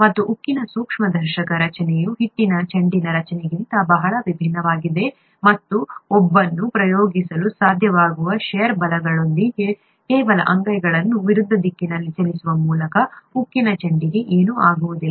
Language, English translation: Kannada, And the microscopic structure of steel is very different from that of the dough ball, and with the shear forces that one is able to exert, just by moving the palms in opposite directions, nothing happens to the steel ball